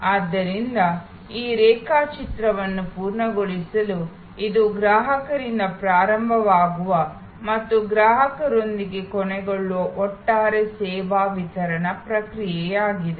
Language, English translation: Kannada, So, to complete this diagram therefore, this is the overall service delivery process which starts with customer and ends with the customer